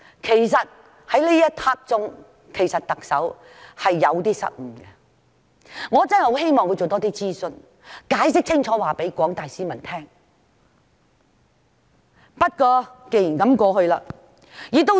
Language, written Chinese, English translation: Cantonese, 其實，特首在那一刻是有一些失誤，我真的希望她多做一些諮詢，或向廣大市民解釋清楚。, In fact the Chief Executive was erroneous at that moment . I really wished that she had done more consultation or given more explanation to the general public